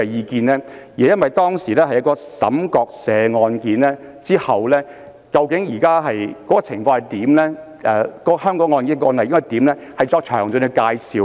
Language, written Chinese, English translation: Cantonese, 其實，這是因為當時在出現岑國社案後，需要就最新情況及相關案例的處理作出詳盡的介紹。, Actually following the case of SHUM Kwok - sher it had become necessary to give a detailed account about the latest situation and the handling of related cases